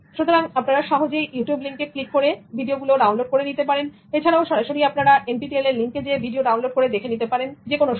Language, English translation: Bengali, So you can just go to the YouTube channel link and then download all the videos or go to NPTEL link, download the videos